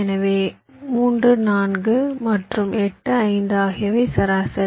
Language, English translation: Tamil, so three, four and eight, five are the mean